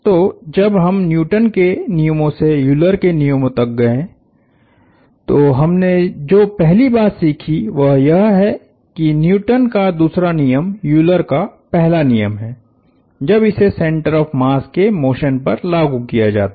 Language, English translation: Hindi, So, when we went from Newton’s laws to Euler’s laws, the first point we learnt is that, Newton’s second law is Euler’s first law, when applied to the motion of the center of the mass